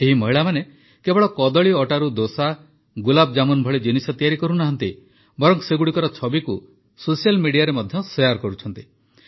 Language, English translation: Odia, These women not only prepared things like dosa, gulabjamun from banana flour; they also shared their pictures on social media